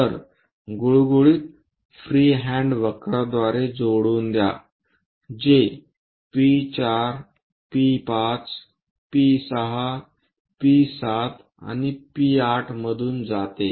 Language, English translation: Marathi, So, join by a smooth, free hand curve, which pass through P4, P5, P6, P7 and P8